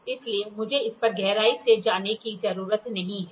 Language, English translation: Hindi, So, I need not go in depth on this